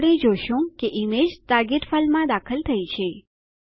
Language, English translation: Gujarati, We see that the image is inserted into our target file